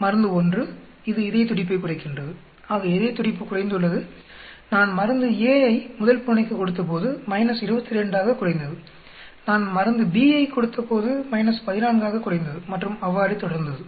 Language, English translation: Tamil, Drug 1, it is slowing the heart rate, so the heart rate has slowed, when I give drug a cat A, I mean cat 1 by minus 22 that means, gone down 22